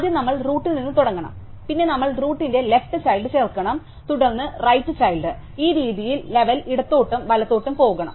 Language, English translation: Malayalam, So, first we start at the root, then we must add the left child of the root, then the right child and this way keep going level by level left to right